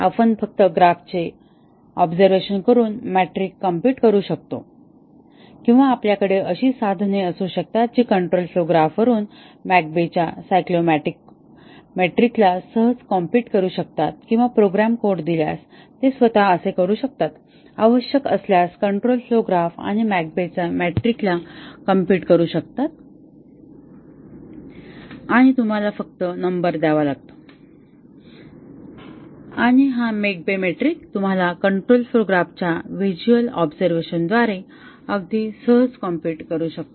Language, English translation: Marathi, We can compute the metric just by observing the graph or we can have tools which can easily compute the McCabe’s Cyclomatic metric from the control flow graph or given the program code it can itself, if required compute the control flow graph and also the McCabe’s metric and display the number to you and also McCabe metric as I was saying that you can compute very easily through a visual observation of the control flow graph